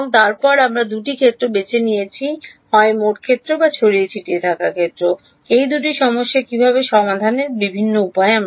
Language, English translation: Bengali, And then we chose the two variables either total field or scattered field these are two different ways of solving a problem right